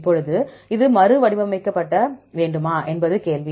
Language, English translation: Tamil, Now, the question is whether you need to reformat this are not